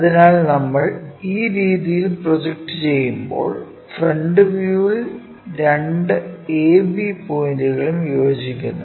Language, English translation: Malayalam, So, when we are projecting in that way the front view both A B points coincides